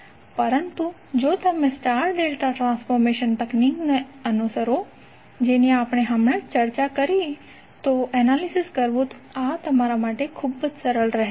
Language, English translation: Gujarati, But if you follow the star delta transformation technique, which we just discussed, this will be very easy for you to analyse